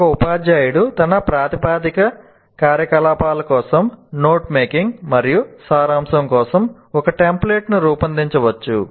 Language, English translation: Telugu, And the teacher can design templates for his proposed activities for note making and summarization